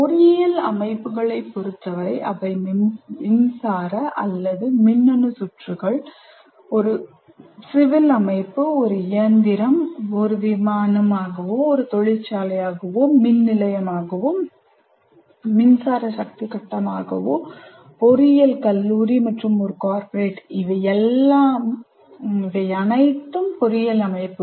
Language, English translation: Tamil, And when it comes to engineering systems, they include any kind of unit, electric or electronic circuits, a civil structure, an engine, an aircraft, a factory, a power station, an electric power grid, even an engineering college and a corporate, these are all engineering systems